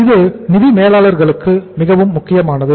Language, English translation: Tamil, It is very very important for the financial manager